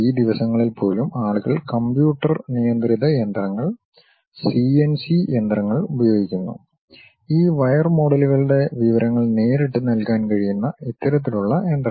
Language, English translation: Malayalam, Even these days people use computer controlled machines, CNC machines; this kind of machines for which one can straight away supply this wire models information